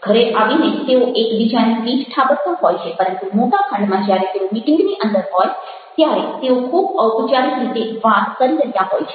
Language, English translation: Gujarati, may be in a meeting back home they are patting one anothers back, but inside the meeting, inside the hall, when they are having the meeting, they are talking very, very formally